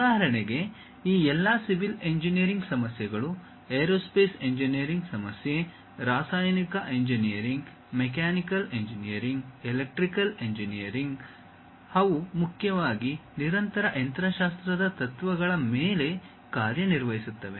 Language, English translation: Kannada, For example: all these civil engineering problem, aerospace engineering problem, chemical engineering, mechanical, electrical engineering; they mainly work on continuum mechanics principles